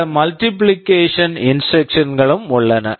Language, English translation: Tamil, There are some multiplication instructions also